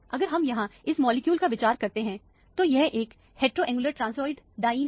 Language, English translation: Hindi, If we consider this molecule here, this is a heteroannular transoid diene